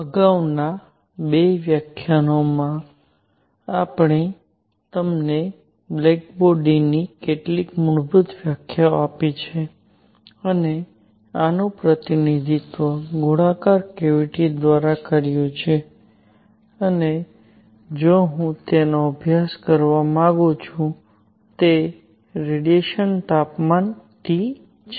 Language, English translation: Gujarati, In the previous two lectures, we have given you some basic definitions of a Black Body and represented this by a spherical cavity and if I want to study it the radiation at temperature T